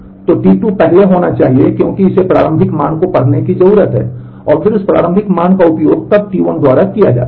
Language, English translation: Hindi, So, T 2 must happen first because it needs to read the initial value and, then that initial value is used by then there is a right on by T 1